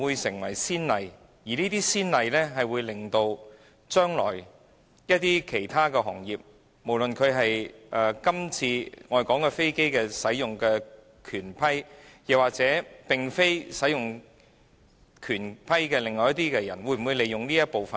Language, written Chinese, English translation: Cantonese, 這會否成為先例，導致今後其他行業，無論是今次討論所涉及的飛機使用權或飛機使用權以外的一些行業，也可利用這一部分條文呢？, Will a precedent be thus established to make it possible for other trades and industries be they engaging in businesses concerning the right to use aircraft or not to invoke the provisions under this Part in the future?